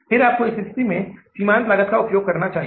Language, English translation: Hindi, So you follow the process of the marginal costing here